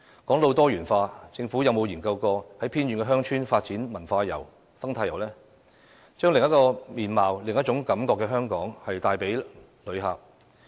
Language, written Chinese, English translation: Cantonese, 說到"多元化"，政府曾否研究在偏遠鄉村發展文化遊及生態遊，以向旅客展示香港的另一個面貌、另一種感覺呢？, Regarding diversity has the Government ever considered developing cultural tours and eco - tours in remote villages so as to show the visitors a new façade of Hong Kong that gives a fresh feeling?